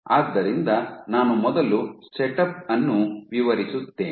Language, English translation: Kannada, So, let me first describe the setup